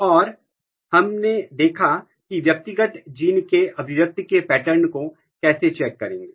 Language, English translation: Hindi, And now, so we have seen how to check the expression pattern of individual genes